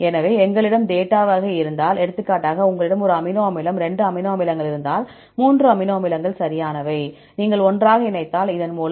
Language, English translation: Tamil, So, because if you have the type of data, for example, if you have one amino acid and 2 amino acids, 3 amino acids right, if you join together, by means of